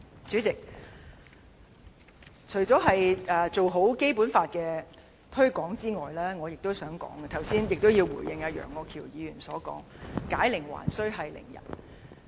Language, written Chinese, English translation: Cantonese, 主席，除了做好《基本法》推廣之外，我亦想討論及回應楊岳橋議員所指，即有關解鈴還需繫鈴人的論點。, President on top of issues about the effective promotion of the Basic Law I would also like to discuss and respond to Mr Alvin YEUNGs remark about the root cause of the problems today